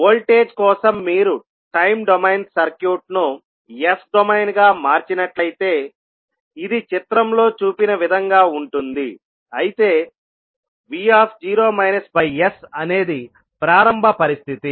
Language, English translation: Telugu, For voltage if you transform the time domain circuit into s domain, this will be as soon in the figure, where v naught by s would be the initial condition